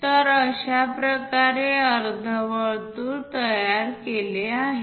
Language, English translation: Marathi, So, semicircle is constructed